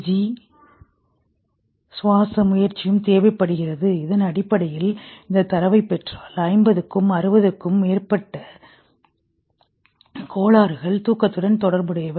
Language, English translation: Tamil, This is essentially if you get this set of data there are more than 50 60 disorders associated with sleep